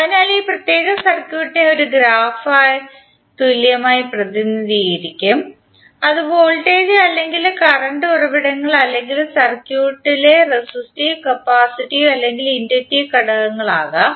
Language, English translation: Malayalam, So this particular circuit will be equally represented as a graph in this session which will remove all the elements there may the sources that may be the voltage or current sources or the resistive, capacitive or inductive elements in the circuit